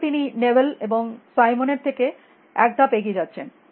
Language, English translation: Bengali, So, he is going one more step from Newell and Simon